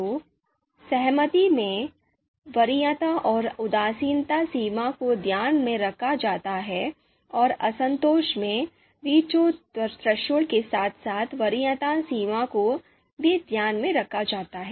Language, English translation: Hindi, So in the concordance, the preference and indifference threshold are taken into account, and in discordance, the veto threshold as well as the preference threshold are taken into account